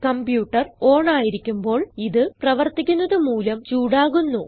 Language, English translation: Malayalam, When the computer is on, all these components work and generate heat